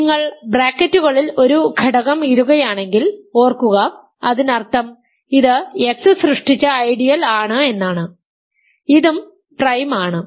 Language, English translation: Malayalam, Remember our notation is you put an element in brackets; that means, it is the ideal generated by X, this is also prime